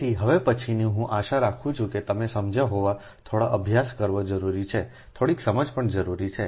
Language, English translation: Gujarati, so next one is: i hope you have understood little bit practice is necessary, right